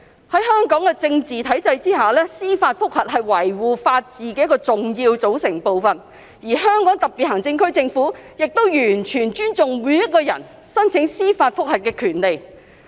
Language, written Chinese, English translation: Cantonese, 在香港的體制下，司法覆核是維護法治的一個重要組成部份，而香港特別行政區政府亦完全尊重每一個人申請司法覆核的權利。, Judicial review is an integral part of the regime for upholding the rule of law in Hong Kong and the Hong Kong Special Administrative Region Government fully respects individuals right to apply for judicial review